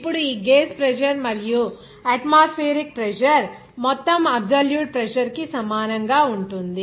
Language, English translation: Telugu, Now, sum of this gauge pressure and atmospheric pressure will be equal to absolute pressure